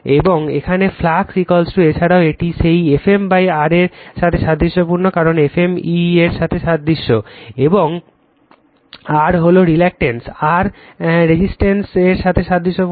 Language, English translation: Bengali, And here flux is equal to also it is analogous to that F m upon R right, because F m is analogous to E and R reluctance R is analogous to resistance